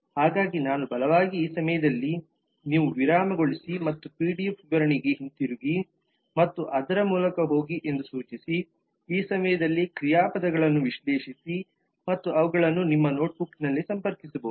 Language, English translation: Kannada, so i would strongly suggest that you pause at this point and go back to the pdf specification and go through it very carefully this time analyzing the verbs and connecting them in your notebook